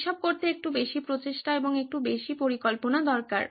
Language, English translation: Bengali, It just takes a little more effort and little more planning to do all this